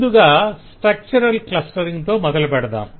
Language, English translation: Telugu, we start with the structural clustering